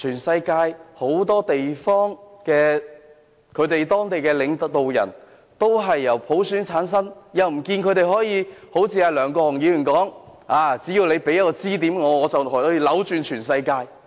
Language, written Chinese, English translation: Cantonese, 世界上很多地方的領導人都是由普選產生，但不見得他們可以一如梁國雄議員所說般扭轉全世界。, Well the leaders of many places in the world are returned by universal suffrage but we cannot quite notice that they have succeeded in changing the whole world as argued by Mr LEUNG Kwok - hung